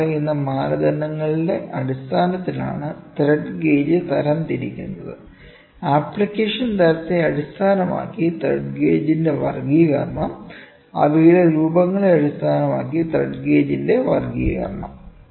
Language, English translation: Malayalam, The thread gauge are classified on the basis of following criteria, classification of thread gauge based on type of application, classification of thread gauge based on their forms